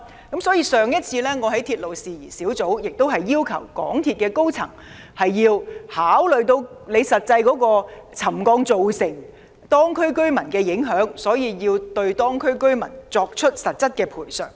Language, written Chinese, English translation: Cantonese, 因此，我早前在鐵路事宜小組委員會會議席上，要求港鐵公司的高層考慮沉降對當區居民造成的實際影響，並作出實質的賠償。, Therefore previously in the meeting of the Subcommittee on Matters Relating to Railways I requested the senior management of MTRCL to consider the actual effects of the settlement on the residents of the district and make concrete compensations